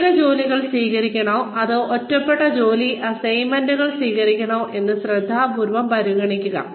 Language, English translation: Malayalam, Consider carefully, whether to accept, highly specialized jobs or isolated job assignments